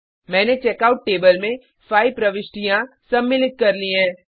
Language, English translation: Hindi, I have inserted 5 entries into Checkout table